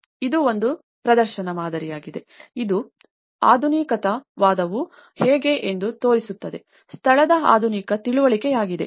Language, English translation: Kannada, It is a showcase model, that it can show that this is how the modernism, is a modernist understanding of the place